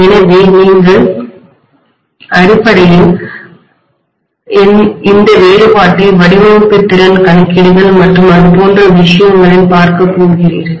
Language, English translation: Tamil, So you are basically going to look at this difference in terms of later on the design efficiency calculations and things like that, right